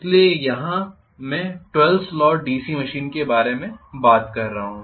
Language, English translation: Hindi, So here I am talking about a 12 slot DC machine